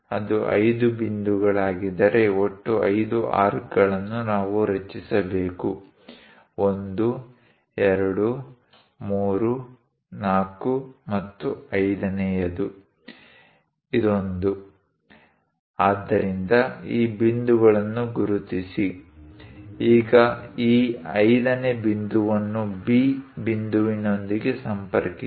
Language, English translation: Kannada, If it is 5 points, in total 5 arcs, we have to construct; 1, 2, 3, 4, and the 5th one; this one; so, mark these points; now connect this 5th point with point B